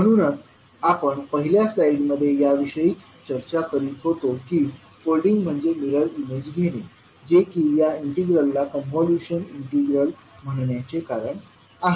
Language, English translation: Marathi, So this is what we discuss in the first slide that folding that is nothing but taking the mirror image is the reason of calling this particular integral as convolution integral